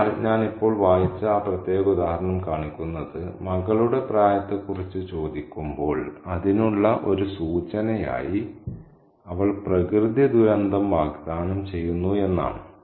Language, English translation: Malayalam, So, that particular example that I just read out shows that when asked about the age of the daughter, she offers a natural calamity as a reference for that